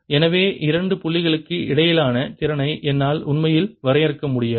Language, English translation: Tamil, therefore i cannot really define potential between two points